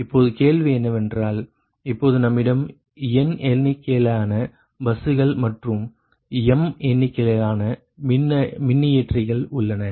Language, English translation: Tamil, now question is that that instead of now we have n number of buses and m number of generators